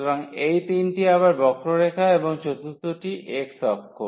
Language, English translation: Bengali, So, these are the 3 curves again and the x axis the forth one is the x axis